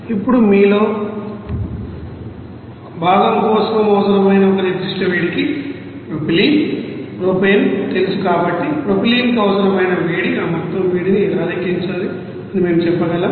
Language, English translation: Telugu, Now a specific heat required for component of you know that propylene, propane then we can say that heat required for the propylene how to calculate that total amount of heat